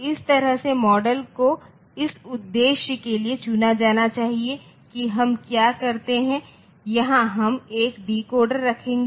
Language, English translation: Hindi, So, that way the model should be selected for that purpose what we do we put a decoder here